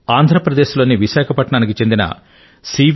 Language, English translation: Telugu, C V Raju in Vishakhapatnam of Andhra Pradesh